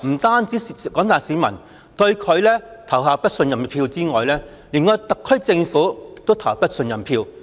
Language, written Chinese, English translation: Cantonese, 她除了令廣大市民對她投下不信任票之外，連對特區政府亦投下不信任票。, In addition to causing the general public to cast a vote of no confidence in her a vote of no confidence is also cast in the SAR Government